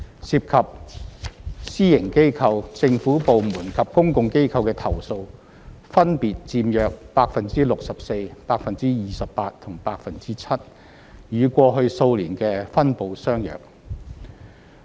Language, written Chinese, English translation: Cantonese, 涉及私營機構、政府部門及公共機構的投訴分別佔約 64%、28% 及 7%， 與過去數年的分布相約。, Complaints concerning the private sector the government sector and public bodies accounted for 64 % 28 % and 7 % respectively a pattern that has been maintained for years